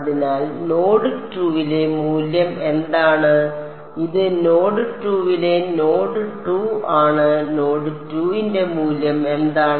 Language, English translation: Malayalam, So, what is the value at node 2 this is node 2 at node 2: what is the value of W x at node 2